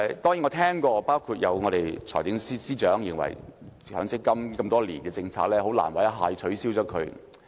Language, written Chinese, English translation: Cantonese, 當然，我聽過，包括財政司司長也認為強積金這項實行多年的政策，很難一下子便取消。, True I have learnt that it is rather impossible to immediately rescind MPF which have been implemented for years . The Financial Secretary shares this view too